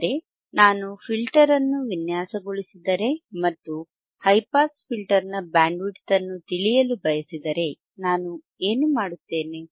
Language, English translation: Kannada, tThat means, that if I design if I design a filter then and if I want to know the bandwidth of high pass filter, what I will do